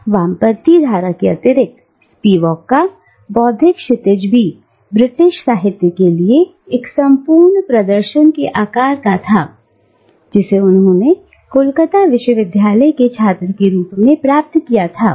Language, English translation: Hindi, Apart from this leftist current, Spivak's intellectual horizon was also shaped by a thorough exposure to British literature, which she received as a student of the University of Calcutta